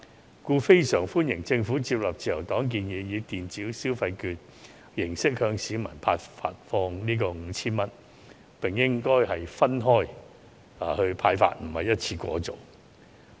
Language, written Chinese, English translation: Cantonese, 因此，我們非常歡迎政府接納自由黨的建議，以電子消費券形式向市民發放 5,000 元，並應分期而非一次過派發。, We therefore strongly welcome the Governments adoption of our proposal to distribute 5,000 to each eligible Hong Kong resident in the form of electronic consumption vouchers and suggested that it should be disbursed in instalments rather than in one go